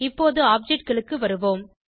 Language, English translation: Tamil, Let us move on to objects